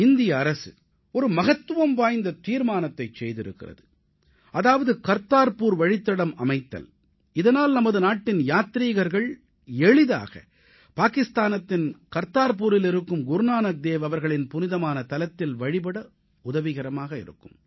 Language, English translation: Tamil, The Government of India has taken a significant decision of building Kartarpur corridor so that our countrymen could easily visit Kartarpur in Pakistan to pay homage to Guru Nanak Dev Ji at that holy sight